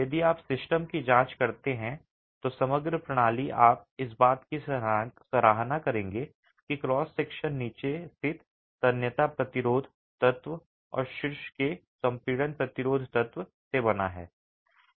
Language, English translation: Hindi, If you examine the system, the composite system, you will appreciate that the cross section is made up of the tensile resisting element at the bottom and the compression resisting element at the top